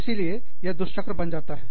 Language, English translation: Hindi, So, it becomes a vicious cycle